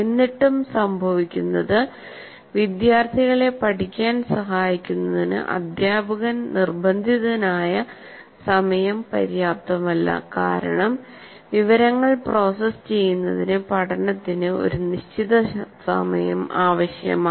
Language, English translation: Malayalam, but still what happens is the amount of material, the time the teacher is forced to take is not sufficient to facilitate the students to learn because learning requires certain amount of time to process the information